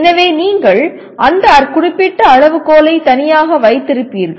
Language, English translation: Tamil, So you will keep that particular criterion separate